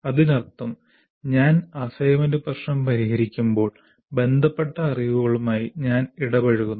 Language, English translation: Malayalam, That means when I am solving the assignment problem, I am getting engaged with the knowledge concern